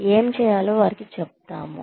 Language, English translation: Telugu, We tell them, what to do